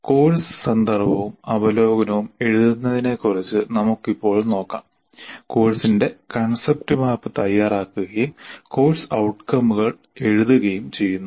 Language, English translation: Malayalam, And right now, we will look at the first three, namely writing the course context and overview, preparing the concept map of the course and writing course outcomes